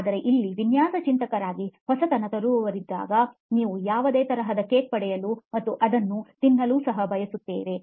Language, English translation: Kannada, But here as innovators, as design thinkers, we are sort of want to have the cake and eat it too